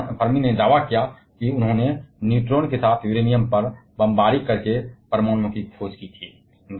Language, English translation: Hindi, But Fermi claimed that they have discovered atoms higher then this by bombarding Uranium with neutrons